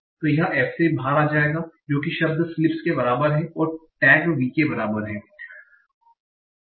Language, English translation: Hindi, And sorry, word is equal to sleeps and tag is equal to v